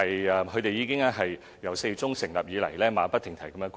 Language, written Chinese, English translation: Cantonese, 由4月中成立以來，他們馬不停蹄地工作。, These colleagues have been working incessantly since the Task Forces inauguration in mid - April